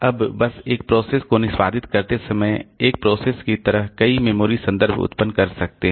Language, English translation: Hindi, Now, just like a process while executing a process can generate a number of memory references